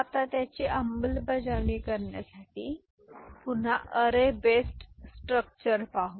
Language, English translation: Marathi, Now, to implement it we shall look at again array based structure right